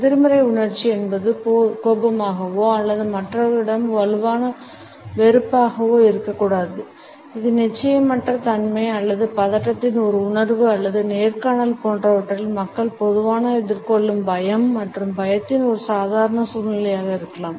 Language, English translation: Tamil, The negative emotion may not necessarily be anger or a strong dislike towards other; it may also be a mild feeling of uncertainty or nervousness or a normal situation of apprehension and fear which people normally face at the time of interviews etcetera